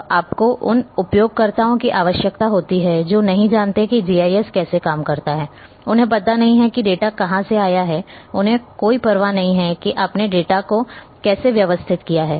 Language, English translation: Hindi, So, you require as users purely as users end they do not know how GIS works; they do not know from where the data has come, they do not want to bother that how you have organized the data